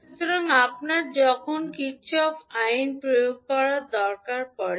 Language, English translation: Bengali, So, this will be required when you having the Kirchhoff voltage law to be applied